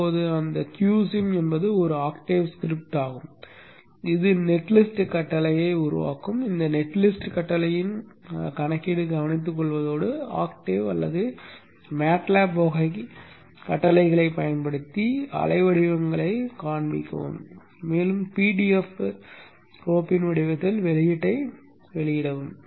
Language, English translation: Tamil, You see that there is a Q and then there is NG sim now the Q Sim is an octave script which which takes care of the issue of this netlist command generating net list command and also to show you the waveforms using octave or matlap type of commands and also to put an output in the form of a PDF file